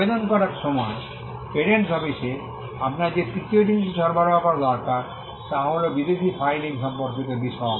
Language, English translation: Bengali, Third thing that you need to provide to the patent office while filing an application is, details with regard to foreign filing